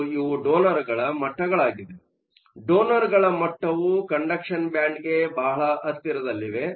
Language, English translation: Kannada, And these are my donor levels; the donor levels are located very close to the conduction band